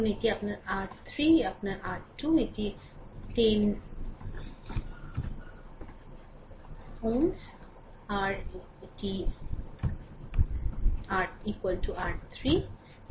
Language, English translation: Bengali, Suppose this is your R 1, this is your R 2 and this 10 ohm is equal to R 3